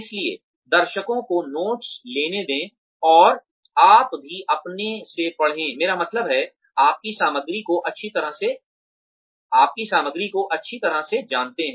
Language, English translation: Hindi, So, let the audience take down notes, and you also read from your, I mean, know your material well